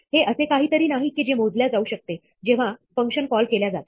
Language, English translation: Marathi, It cannot be something which is calculated, when the function is called